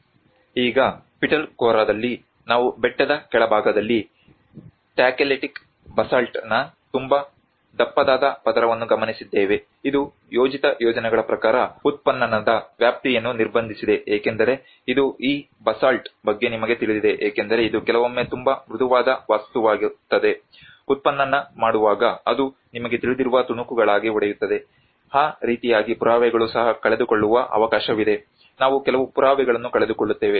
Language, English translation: Kannada, \ \ \ Now, in Pitalkhora we actually notice a very thick layer of Tacheletic Basalt at the lower proximity of the hill, which have restricted the scope of excavation as per projected plans because you know this is about this Basalt which actually sometimes it becomes a very soft material when keeps making an excavation it breaks into the pieces you know, that is how there is a chance that the evidence will also be losing, we will be losing some evidence